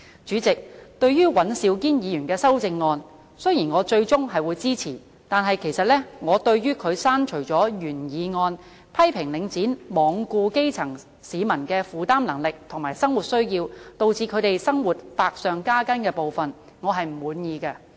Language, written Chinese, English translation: Cantonese, 主席，對於尹兆堅議員的修正案，雖然我最終是會支持的，但我對於他刪除了原議案批評"領展罔顧基層市民的負擔能力及生活需要，導致他們的生活百上加斤"的部分，我是不滿意的。, President though I will eventually support Mr Andrew WANs amendment I am not satisfied with his deletion of the statement Link REIT has ignored the affordability and living necessities of grass - roots people thereby aggravating the burden on their livelihood in my original motion